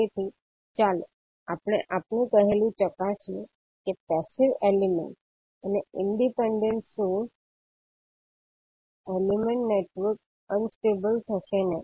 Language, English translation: Gujarati, So let us verify our saying that the passive elements and independent sources, elements network will not be unstable